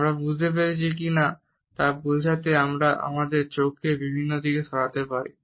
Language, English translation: Bengali, We can move our eyes in different directions to suggest whether we have understood it or not